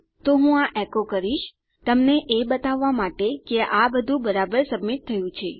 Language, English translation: Gujarati, Ill just echo them out to show you that all these have been submitted correctly